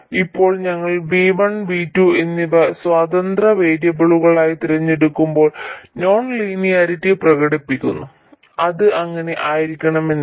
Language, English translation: Malayalam, Now, we chose V1 and V2 to be independent variables while expressing the non linearities